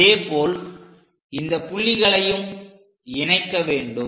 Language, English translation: Tamil, And similarly, join these points